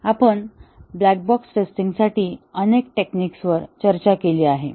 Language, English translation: Marathi, We have discussed several techniques for black box testing